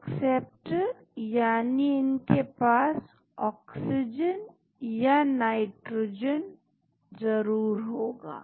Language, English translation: Hindi, Acceptors, that means they must be having oxygen and nitrogen